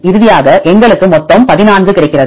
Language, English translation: Tamil, Finally, we get total of 14